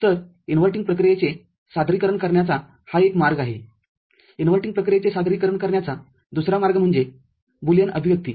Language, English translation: Marathi, So, this is one way of representing inverting operation, the other way of representing inverting operation is through Boolean expression